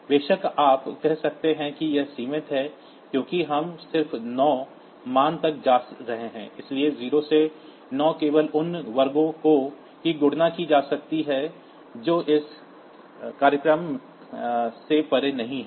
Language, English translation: Hindi, Of course, you can say that this is limited because we are just going up to the value 9, so 0 to 9 only those squares can be computed by this program not beyond that